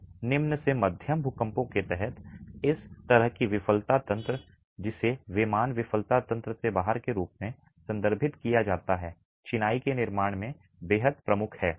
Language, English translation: Hindi, So even under low to moderate earthquakes this sort of a failure mechanism which is referred to as an out of plane failure mechanism is extremely predominant in masonry constructions